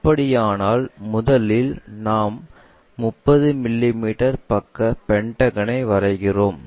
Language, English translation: Tamil, So, this is one of the view given with 30 mm side, we draw a pentagon